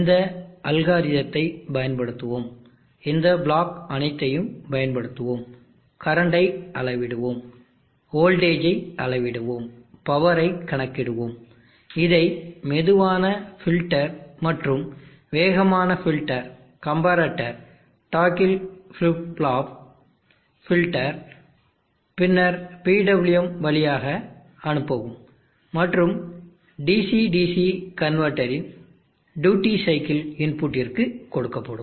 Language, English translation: Tamil, We will use this algorithm, we will use all these blocks, we will measure the current, measure the voltage, calculate the power, pass it through a slow filter and a fast filter, comparator, toggle flip flop filter, and then PWM and giving it to the duty cycle input of a DC DC convertor